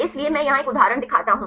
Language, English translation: Hindi, So, here I show an example